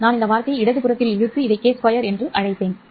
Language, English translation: Tamil, I have pulled this term into the left hand side and called this as k square